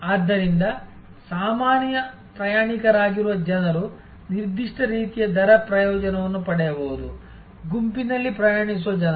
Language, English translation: Kannada, So, people who are regular travelers they may get a certain kind of rate advantage, people who are travelling in a group